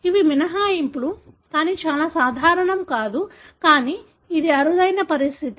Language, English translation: Telugu, These are exceptions, but not very common; but it is a rare condition